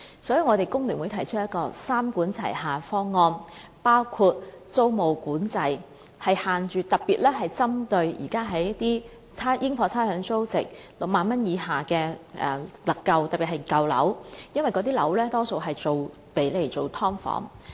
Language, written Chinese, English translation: Cantonese, 所以，工聯會提出三管齊下的方案，包括推行租務管制，以規限私樓的加租幅度，特別是針對現時在應課差餉租值6萬元以下的私人單位，尤其是舊樓的加租幅度——因為那些樓宇大多數是用作"劏房"。, For that reason FTU proposes that we should take a three - pronged approach including the reinstatement of rent control with a view to limiting the rate of rent increases of private housing units especially targeting private units with a rateable value not exceeding 60,000 . In particular we should focus on the rate of rent increase of old buildings―mainly because such buildings are generally used for the creation of sub - divided units